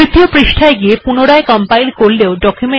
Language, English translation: Bengali, Now we go to third page, if I compile it once again